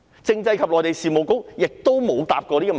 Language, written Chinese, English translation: Cantonese, 政制及內地事務局亦沒有回答過這個問題。, The Constitutional and Mainland Affairs Bureau has not answered this question either